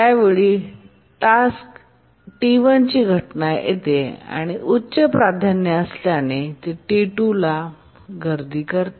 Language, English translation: Marathi, By that time the task T1 instance arrives being a higher priority, it preempts T2